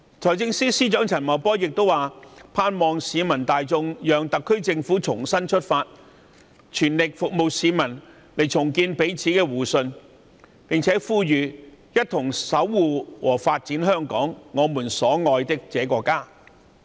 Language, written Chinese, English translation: Cantonese, 財政司司長陳茂波亦表示，盼望市民大眾讓特區政府重新出發，全力服務市民，重建彼此間的互信，一同守護和發展香港，我們所愛的這個家。, Financial Secretary Paul CHAN also asked the public to allow the SAR Government to start anew so that it could make an all - out effort to serve the people restore mutual trust and work with the people to protect and develop Hong Kong our beloved hometown